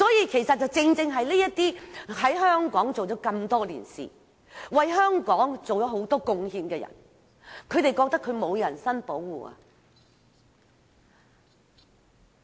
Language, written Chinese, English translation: Cantonese, 其實正正顯示這些在香港工作多年、為香港作出很多貢獻的人覺得得不到人身保障。, These examples precisely show that these people who have been working in Hong Kong for years and are devoted to Hong Kong feel that their personal safety is not protected